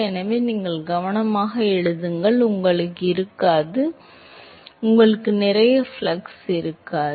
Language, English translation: Tamil, So, you write it carefully, you will not, you will not have, you will not have a mass flux